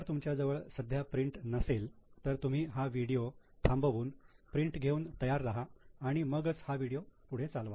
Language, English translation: Marathi, If you don't have a printout right now, you can stop the video, take the printout, be ready and then see this video, then it will be more useful to you